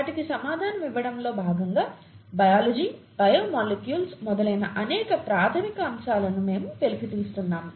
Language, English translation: Telugu, As a part of answering them, we are uncovering very fundamental aspects of biology, biological molecules and so on